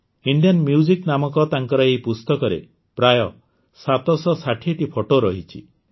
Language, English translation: Odia, There are about 760 pictures in his book named Indian Music